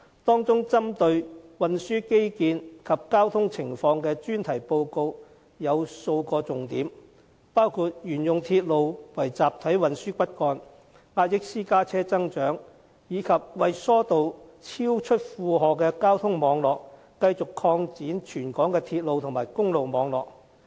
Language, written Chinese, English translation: Cantonese, 當中針對運輸基建及交通情況的專題報告有數個重點，包括沿用鐵路為集體運輸骨幹，壓抑私家車增長，以及為疏導超出負荷的交通網絡而繼續擴展全港鐵路和公路網絡。, The topical report on transport infrastructure and traffic includes a few major points which include the continued use of railways as the backbone of mass transit the curbing of private vehicles growth and the alleviation of traffic network overload by continued expansion of railways and road networks in the territory